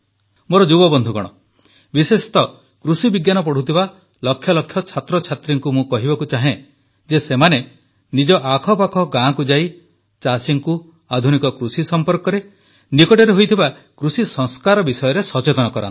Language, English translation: Odia, To the youth, especially the lakhs of students who are studying agriculture, it is my request that they visit villages in their vicinity and talk to the farmers and make them aware about innovations in farming and the recent agricultural reforms